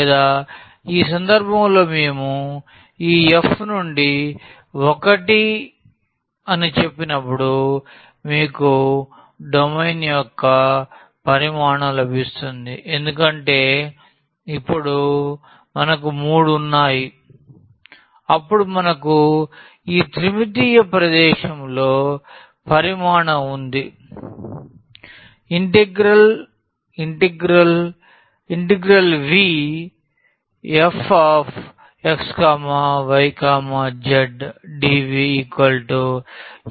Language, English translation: Telugu, Or, in this case when we said this f to 1 you will get the volume of the domain because now, we have a 3 then we have a volume in this 3 dimensional space